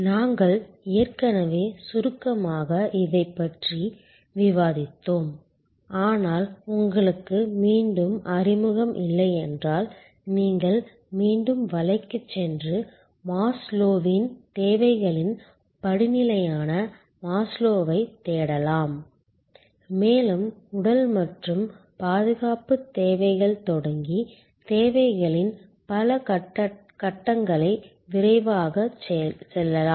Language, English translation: Tamil, We have already briefly discuss this earlier, but if you are again not familiar, you can again go back to the net and search for Maslow, Maslow’s hierarchy of needs and just quickly go through those several stages of needs starting from physical and security needs going up to self actualization and the different kind of triggers that can happen for different kinds of services with respect to those needs